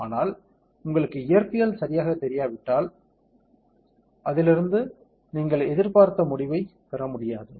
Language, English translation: Tamil, But then if you do not know the physics that is involved exactly, then you not be able to get the expected result out of it